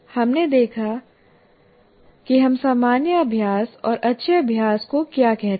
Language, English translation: Hindi, So we looked at two what we called as common practice and good practice